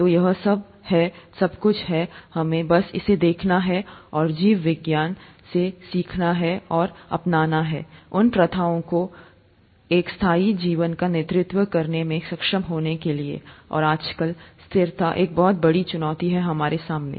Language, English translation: Hindi, So it's all, all there, we just have to look at it and learn from biology and adopt those practices to be able to lead a sustainable life, and sustainability is a very big challenge in front of us nowadays